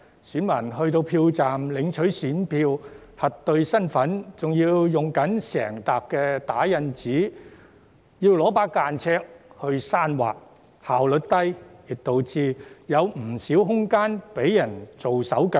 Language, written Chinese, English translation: Cantonese, 選民到達票站領取選票、核對身份時，仍須使用整疊打印資料和間尺刪劃，效率奇低，亦導致有不少空間可被人"做手腳"。, When voters arrive at the polling station to get their ballot papers the polling staff still have to search through an entire stack of printed information and use a ruler to cross out an entry when verifying their identity . It is therefore terribly inefficient and leaves much room for cheating